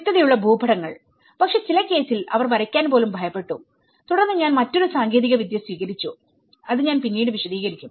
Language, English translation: Malayalam, Legible maps but then in some cases they were not even afraid even to draw and then I have adopted a different techniques which I will explain later